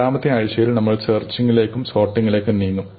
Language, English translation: Malayalam, In the second week, we will move on to searching and sorting